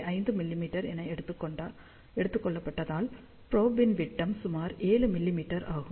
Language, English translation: Tamil, 5 mm that means, the diameter of the probe is about 7 mm